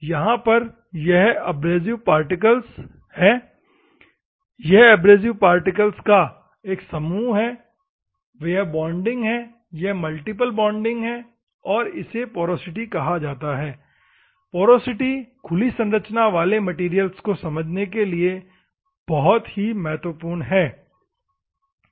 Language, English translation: Hindi, These are the abrasive particles where are the and a group of abrasive particles is here, and this is the bonding, multiple bonding is there, and this is called porosity is this one is the porosity, this is a porosity is most important for open structure materials, ok